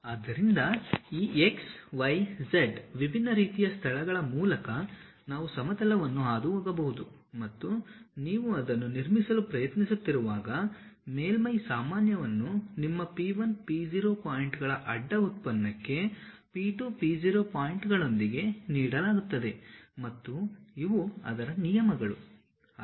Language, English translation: Kannada, So, through these x, y, z different kind of locations we can pass a plane and the surface normal when you are trying to construct it will be given in terms of your P 1, P0 points cross product with P 2, P0 points and their norms